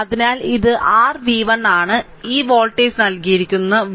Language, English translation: Malayalam, So, this is your v 1 and this voltage is given v